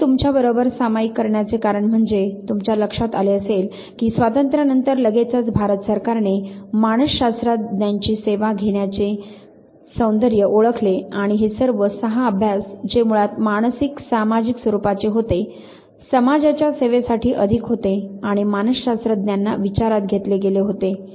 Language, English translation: Marathi, The reason I am sharing this with you that immediately after independence you realize that government of India recognized the beauty of taking the services of the psychologist and all these 6 studies which were basically psycho social in nature, more to do with know the service of the society and psychologist were taken into count